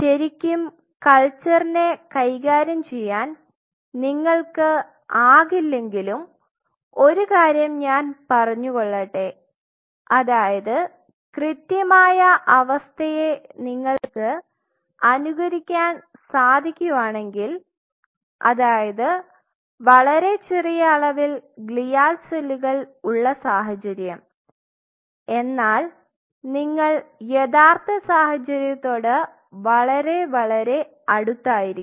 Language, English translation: Malayalam, So, that you know you cannot really handle the culture, but having said this let me tell you if you could really mimic the exact condition, where you have small amount of glial cells attached to it then you are much more closer to the real life situation